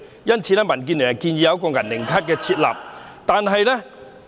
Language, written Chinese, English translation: Cantonese, 因此，民建聯建議為他們設立"銀齡卡"。, Hence DAB has suggested the provision of a semi - elderly card to them